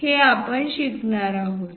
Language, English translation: Marathi, We are going to learn